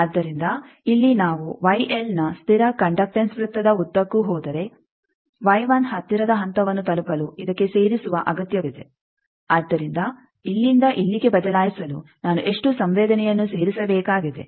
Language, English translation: Kannada, So, here if we go along the constant conductance circle of Y L to reach the closest point Y 1 this requires adding, so how much susceptance I need to add to change from here to here